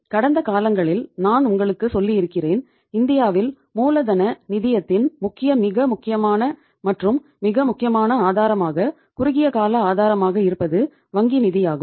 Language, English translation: Tamil, I have told you sometime in the past that in India the major most prominent and the most important source of working capital finance if you call it as the short term source of working capital finance it is the means the source is the bank finance